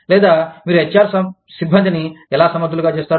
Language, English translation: Telugu, Or, how do you make, the HR staff, capable